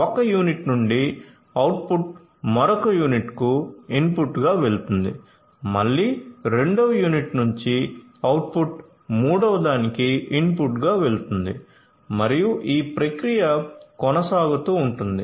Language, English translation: Telugu, So, output from one unit goes as input to another unit, again the output from the second unit goes as input to the third and the process continues